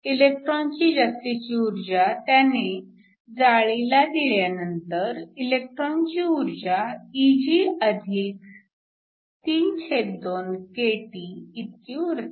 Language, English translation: Marathi, The energy of the electron after losing the access energy to the lattice is just Eg+32kT